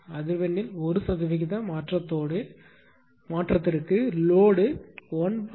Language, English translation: Tamil, 5 percent for a 1 percent change in frequency